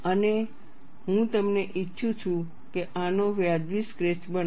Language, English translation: Gujarati, And what I would like you to do is make a reasonable sketch of this